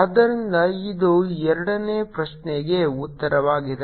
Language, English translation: Kannada, so this the answer for the second question answer